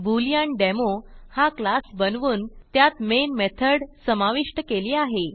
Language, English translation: Marathi, I have created a class BooleanDemo and added the Main method